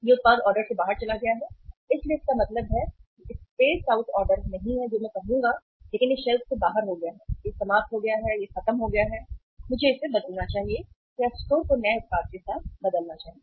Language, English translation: Hindi, This product has gone out of order so it means uh say out space not order I would say but it has gone out of shelf it is finished it is over I should replace or store should replace it with the new product